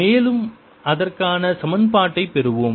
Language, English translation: Tamil, you can see that satisfy the equation